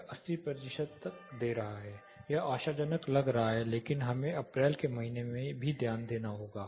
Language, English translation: Hindi, It is giving up to 80 percent it looks promising, but we also have to note in the month of April